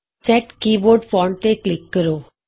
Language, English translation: Punjabi, Click Set Keyboard Font